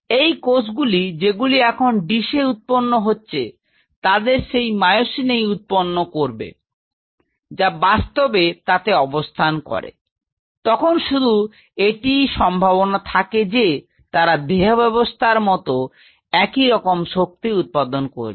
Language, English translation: Bengali, So, these cells which are growing in the dish now, should express those myosin’s which are really present here, then only there is a possibility that they will be generating the similar force as generated inside the system